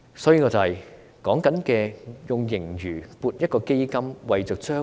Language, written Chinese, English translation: Cantonese, 所以，我們所說的是利用盈餘設立一個基金，未雨綢繆。, Therefore what we propose is to make use of the surplus to set up a fund and save for rainy days